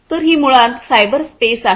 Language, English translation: Marathi, So, this is basically the cyber space